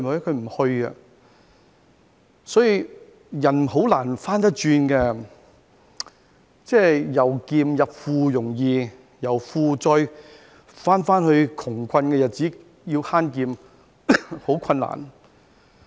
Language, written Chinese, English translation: Cantonese, 所以，人是很難走回頭路的，由儉入富易，但由富貴回到窮困日子，要慳儉則十分困難。, Therefore it is very difficult for people to go back . It is easy to go from thrift to wealth but extremely difficult to go from wealth to thrift and be frugal